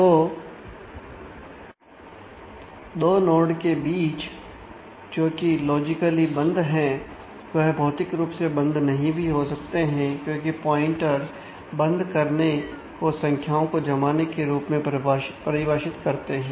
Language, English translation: Hindi, So, 2 nodes the records which are logically closed are may not actually be physically close, because the pointers actually define the closeness in terms of the ordering of the values